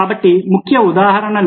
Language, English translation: Telugu, so here are two examples